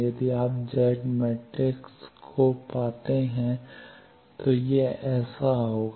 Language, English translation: Hindi, If you do the Z matrix will be like this